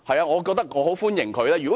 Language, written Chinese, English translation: Cantonese, 我也非常歡迎她這樣做。, And I also welcome her to do so